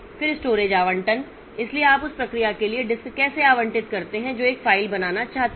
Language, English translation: Hindi, So, how do you allocate disk for a to a new, to a process that wants to create a file